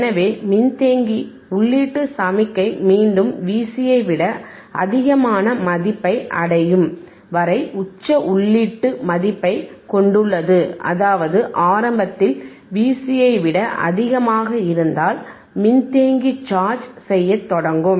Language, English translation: Tamil, And hence the mythe capacitor holds a peak input value until the input signal again attains a value greater than V cVc, right; that means, initially if V iVi is greater than V cVc, capacitor will start charging